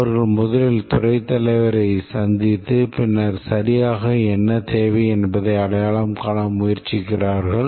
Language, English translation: Tamil, They met the head of department first and then try to identify what exactly is required